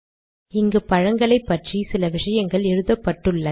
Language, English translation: Tamil, Now there is some write up about these fruits